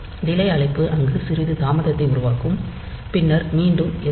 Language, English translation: Tamil, So, a call delay will be produced some delay there then sjmp back